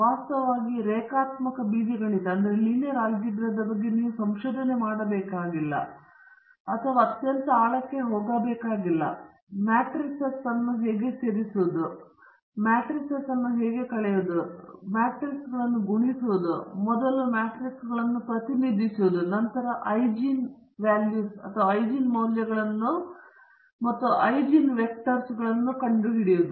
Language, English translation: Kannada, In fact, linear algebra you donÕt have to do research or going to very great depth, all you need to know is how to add matrices, subtract matrices, multiply matrices, and represent matrices first and then also some brief ideas about how to find Eigen values and Eigen vectors